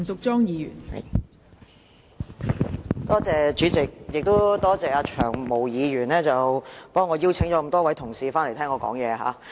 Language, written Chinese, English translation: Cantonese, 代理主席，我要多謝"長毛"議員替我邀請了多位同事回來聽我發言。, Deputy President I have to thank the Honourable Long Hair for inviting many Members back here to listen to my speech